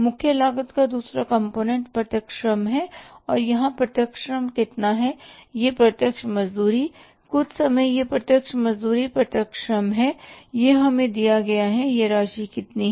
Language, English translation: Hindi, Second component of the prime cost is the direct labour and how much is the direct labour here or the direct wages, some time it is direct labour it is given to us and this about is much, 25,000 rupees